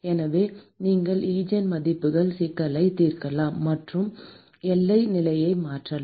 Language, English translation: Tamil, So, you can solve the Eigen value problem and substitute the boundary condition